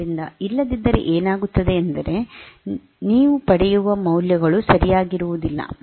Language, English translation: Kannada, So, because it is otherwise what will happen is that the values that you get are not correct